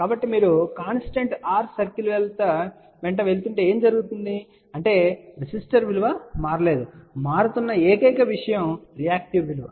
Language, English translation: Telugu, So, what happens if you are moving along constant r circle; that means, resistive value has not changed; only thing which is changing is the reactive value